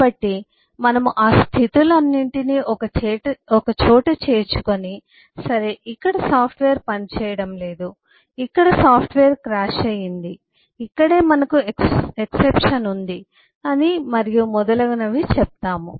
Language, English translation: Telugu, so take all those states together and say, okay, this is, this is where the software is not working, this is where the software is crashed, this is where we have an exception, and so and so forth